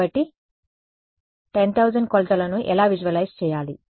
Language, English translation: Telugu, So, how do I visualize 10000 dimensions